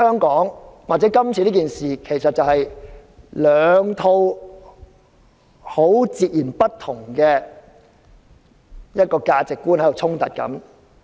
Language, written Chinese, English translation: Cantonese, 今次事件涉及兩套截然不同的價值觀的衝突。, This incident involves the conflict between two sets of very different values